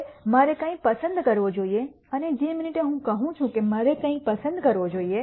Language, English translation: Gujarati, Now, which one should I choose and the minute I say which one should I choose